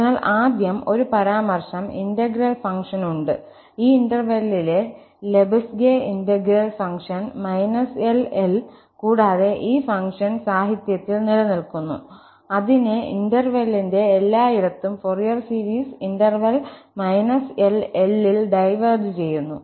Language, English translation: Malayalam, So, first, just a remark, there are integrable functions, the Lebesgue integrable functions on this interval minus L to L and these functions exist in the literature whose Fourier series diverges everywhere in the interval minus L to L